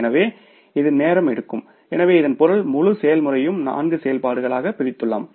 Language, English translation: Tamil, , it means we have divided the whole process into different four activities